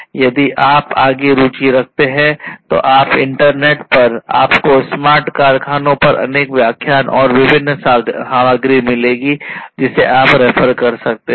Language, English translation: Hindi, And if you are further interested you can go through, in the internet you will be able to find lot of different other lectures and different other materials on smart factories